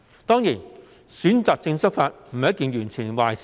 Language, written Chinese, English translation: Cantonese, 當然，選擇性執法並非完全是壞事。, Certainly selective enforcement of the law is not all that bad